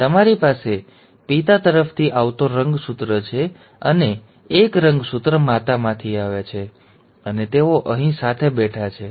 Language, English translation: Gujarati, So you have a chromosome coming from father, and a chromosome coming from mother, and they are sitting here together